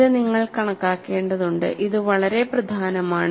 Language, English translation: Malayalam, This you have to appreciate and this is very important